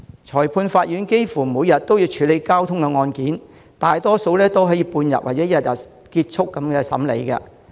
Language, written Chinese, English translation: Cantonese, 裁判法院幾乎每日都處理交通案件，大多數案件可以在半日或一日內完成審理。, The Magistrates Court almost handles traffic cases every day and the trial of most cases can be completed within half a day or one day